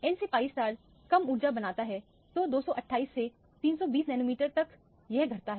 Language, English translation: Hindi, The n to pi star also becomes lower energy so 280 nanometers to 320 nanometers it get decreased